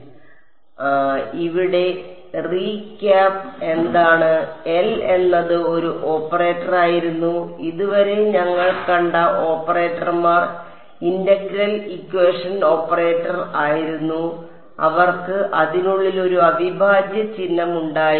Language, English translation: Malayalam, So, the recap over here, what was L was an operator right so, far the operators that we had seen were integral equation operator they had a integral sign inside it ok